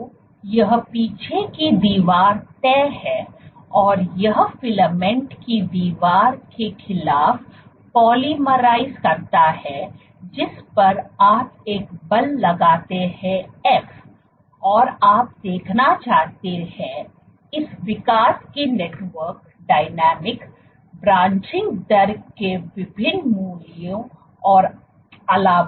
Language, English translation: Hindi, So, this back wall is fixed and this filament polymerizes against a wall which is on which you exert a force f, and you want to see; what is the network dynamics of this growth, for different values of branching rate so on and so forth ok